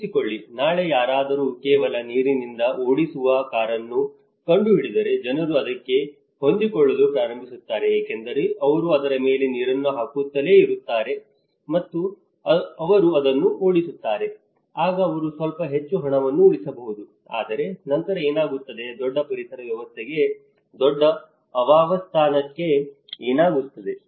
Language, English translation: Kannada, Imagine, someone has invented tomorrow a car driven with just water, not with petrol, so what happens people will start adapting because they keep putting water on it and they keep driving it, then they can save a little bit more money but then what happens to a larger ecosystem, what happens to the larger habitat